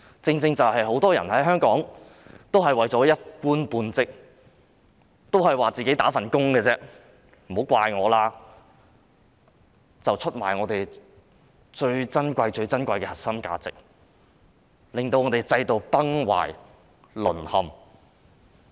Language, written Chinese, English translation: Cantonese, 香港很多人為了一官半職，常說自己只是"打份工"，不要怪責他們，然而他們卻出賣了我們最珍貴、最珍貴的核心價值，令制度崩壞、淪陷。, Many people in Hong Kong with the intent to secure their jobs often say that they are merely working for a living and they should not be blamed . Yet they have betrayed the precious core values that we hold dear leading to the destruction and collapse of the system